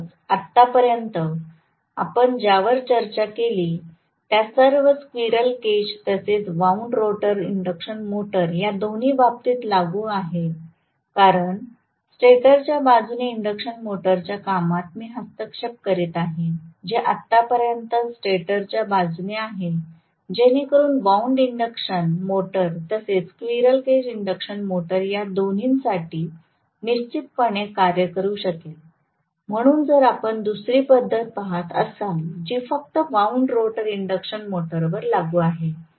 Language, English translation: Marathi, So, this actually whatever we discussed so far all of them are applicable to both squirrel cage as well as wound rotor induction motor because I am interfering with the working of the induction motor from the stator side, whatever we so far is from the stator side, so that definitely can work for both wound induction motor as well as the slip ring induction motor, as well as the squirrel cage induction motor, so if we are looking at another method which is only applicable to the wound rotor induction motor